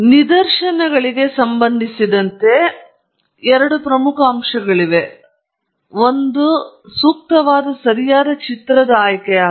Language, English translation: Kannada, So, with respect to illustrations, there are two major aspects that we need to look at the first is choosing the right type of illustration okay